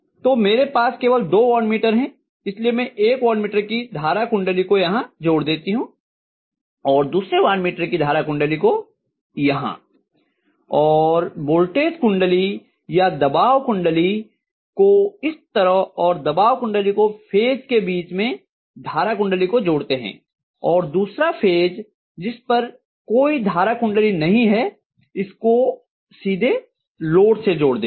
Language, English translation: Hindi, So I have only 2 watt meters with me so I am going to connect one of the watt meter current coil here another watt meter current coil here and I am going to connect the voltage coil or the pressure coil like this and the pressure coil is connected between the phase the current coils are connected and the other phase which is not having any current coil, then this is connected directly to the load